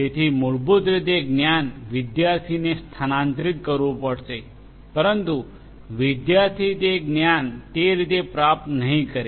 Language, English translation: Gujarati, So, basically that knowledge has to be transferred to the student, but the student you know will not get that knowledge just like that